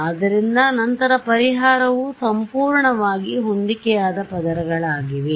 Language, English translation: Kannada, So, then thus remedy was perfectly matched layers right